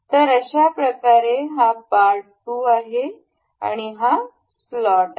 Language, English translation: Marathi, So, the part this is part 2, this is slot